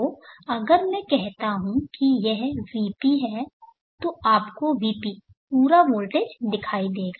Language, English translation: Hindi, So if I say this is VP then you would see VP the full voltage